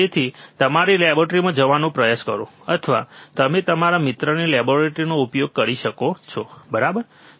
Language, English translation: Gujarati, So, try to go to your laboratory, or you can access your friend's lab, right